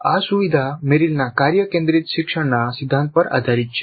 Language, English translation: Gujarati, This feature is based on Merrill's task centered principle of learning